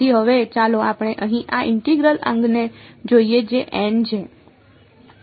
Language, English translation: Gujarati, Now, let us now let us evaluate these integrals ok